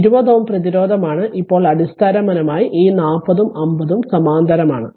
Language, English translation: Malayalam, This is your 20 ohm resistance now basically this 40 and 50 this 40 and 50 actually are in parallel